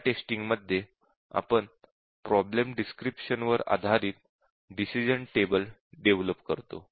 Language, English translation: Marathi, In decision table based testing we develop a decision table based on the problem description